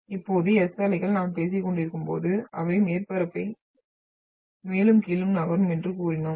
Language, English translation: Tamil, Now S waves as we have been talking about that they will move the surface up and down